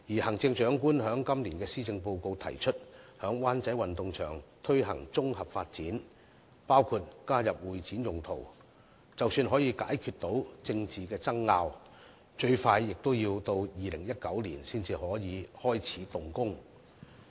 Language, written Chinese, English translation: Cantonese, 行政長官在今年的施政報告提出在灣仔運動場進行綜合發展，包括加入會展用途，但即使政治爭拗得以解決，最快也要到2019年才能開始動工。, In this years Policy Address the Chief Executive put forward a proposal of the comprehensive development of the Wan Chai Sports Ground which includes the construction of convention and exhibition venues . However even if the political disputes can be settled the project will only commence in 2019 at the earliest